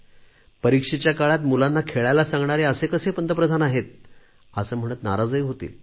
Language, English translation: Marathi, "What kind of a Prime Minister is this, who is asking children to come out and play during exams," they might say